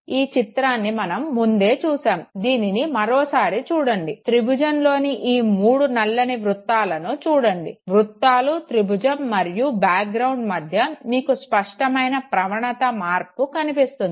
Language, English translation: Telugu, We have already seen this image, let us look at it again, look at the three black circles in the triangle, you can see a sharp gradient change between the circles, triangle, and the background